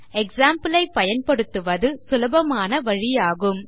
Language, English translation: Tamil, Easiest way is to use an example